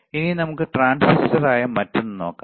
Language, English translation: Malayalam, Now, let us see the another one which is the transistor